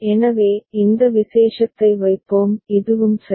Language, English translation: Tamil, So, we will put this particular this is also crossed ok